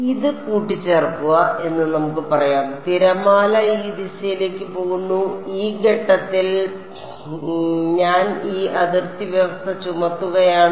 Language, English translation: Malayalam, So, what is just saying that add this let us say this is this is the boundary the wave is going in this direction and at this point I am imposing this boundary condition